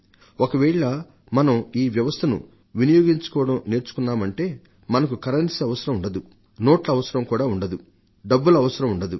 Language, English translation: Telugu, If we learn and adapt ourselves to use these services, then we will not require the currency, we will not need notes, we will not need coins